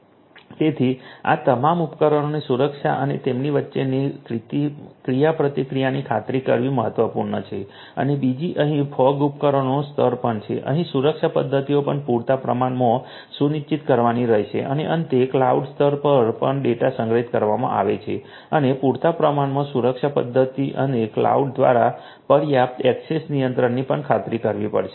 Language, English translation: Gujarati, So, ensuring the security of all of these devices and their interaction between them is important and second is the fog devices layer here also the security mechanisms adequately will have to be ensured and finally, at the cloud layer also the data are being stored and adequate security mechanisms and adequate access control through the cloud will also have to be ensured